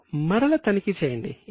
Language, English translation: Telugu, Now cross check it